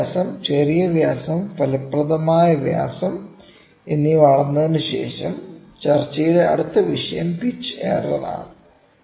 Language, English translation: Malayalam, After measuring the major diameter minor diameter and the effective diameter; the next topic of discussion is going to be the pitch error